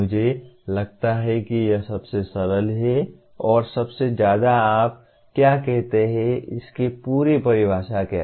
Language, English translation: Hindi, I feel this is about the simplest and most what do you call complete definition of what an outcome is